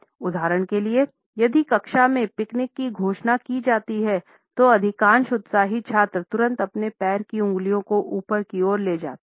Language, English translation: Hindi, For example, if a picnic is to be announced in a class the most enthusiastic students would immediately move their toes upward